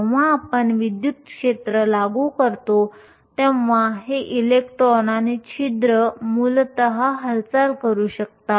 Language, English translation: Marathi, When we apply an electric field these electrons and holes can essentially move